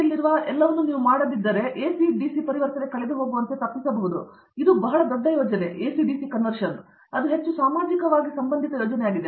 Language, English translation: Kannada, everything on DC so that you don’t, you can avoid the ac DC conversion lost, that is a very big project and that is of highly socially relevant project also